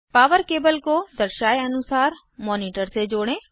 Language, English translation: Hindi, Connect the power cable to the monitor, as shown